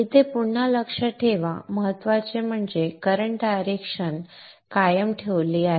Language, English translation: Marathi, Note again here importantly that the current direction has been retained